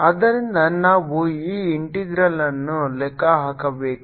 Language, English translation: Kannada, so we have to calculate this integral